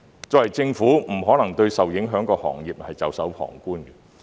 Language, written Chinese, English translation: Cantonese, 作為政府，不可能對受影響的行業袖手旁觀。, The Government cannot possibly watch the affected industries with folded arms